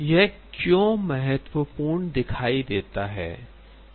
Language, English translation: Hindi, why is this important